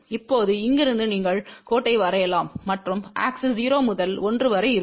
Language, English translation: Tamil, Now, from here you can draw the line and you can draw the line so that axis is from 0 to 1